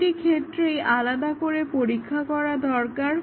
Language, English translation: Bengali, So, for each case separate testing is needed